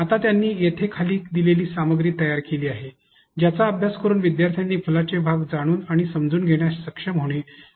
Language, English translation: Marathi, Now, he has created the following content as you see here that the students need to go through and be able to learn and understand about the parts of the flower